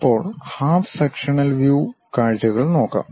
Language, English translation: Malayalam, Now, we will look at half sectional views